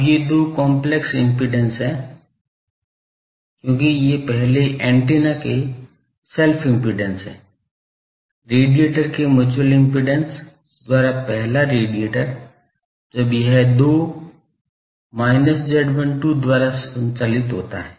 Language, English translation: Hindi, Now, these two are complex impedances, because these are self impedance of the first antenna as the, first radiator by the mutual impedance of the this radiator when it is driven by 2, z12 with the minus